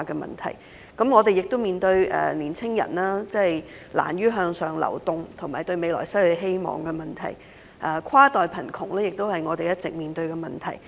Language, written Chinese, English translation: Cantonese, 此外，我們亦面對年青人難於向上流動及對未來失去希望的問題，而跨代貧窮亦是我們一直面對的問題。, Besides Hong Kong is also facing the problem of young people having difficult in moving upward and losing hope in the future . Also cross - generational poverty is another problem that Hong Kong has been facing